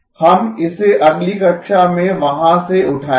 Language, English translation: Hindi, We will pick it up from there in the next class